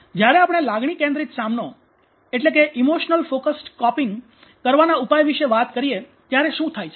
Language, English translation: Gujarati, What happens when we talk about emotional focused coping